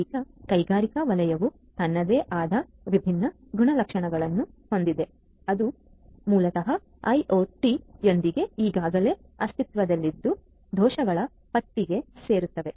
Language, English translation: Kannada, Now, the industrial sector has its own different characteristics, which basically adds to the list of vulnerabilities that were already existing with IoT